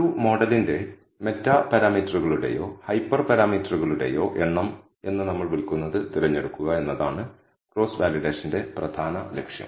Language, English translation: Malayalam, The main purpose of cross validation is to select what we call the number of meta parameters or hyper parameters of a model